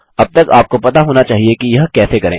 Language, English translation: Hindi, You should now know how to do this by now